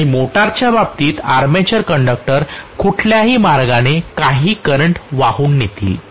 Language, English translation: Marathi, And in the case of motor the armature conductors will any way carry some current